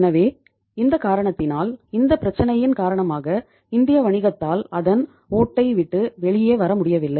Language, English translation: Tamil, So because of this reason, because of this problem the Indian business has not been able to come out of its shell